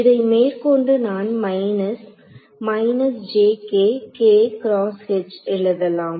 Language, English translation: Tamil, So, this is minus